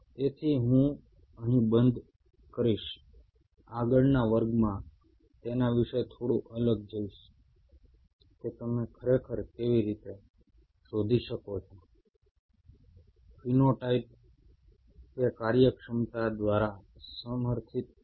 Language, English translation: Gujarati, In the next class, we'll go a little further in depth about it that how you really can figure out is phenotype supported by the functionality